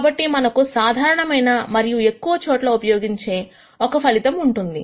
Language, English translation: Telugu, So, that we have a result that is general and can be used in many places